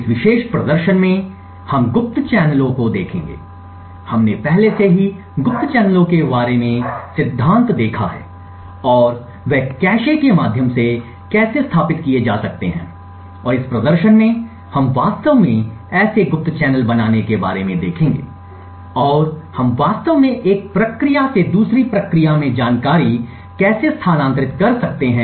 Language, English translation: Hindi, In this particular demonstration we will look at covert channels, we have already seen the theory about covert channels and how they can be established through the cache and in this demonstration we will actually look at creating such a covert channel and how we could actually transfer information from one process to another